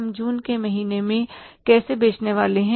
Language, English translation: Hindi, How much we are going to sell in the month of June